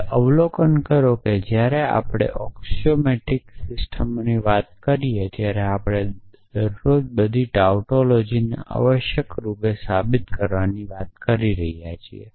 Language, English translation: Gujarati, Now, observe that when we talk of axiomatic systems we are daily talking of proving all tautology essentially